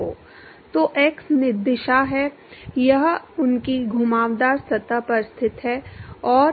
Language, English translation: Hindi, So, x direction is the; it is the location on their along the curved surface and